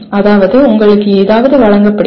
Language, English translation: Tamil, That means something is presented to you